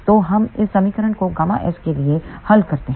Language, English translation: Hindi, So, we solve this equation for gamma s